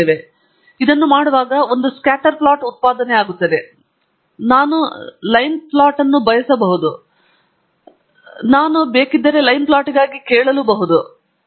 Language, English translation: Kannada, And when I do this, it produces a scatter plot, but I want ideally also line plot, and I can ask for a line plot if I want, and then this is a line plot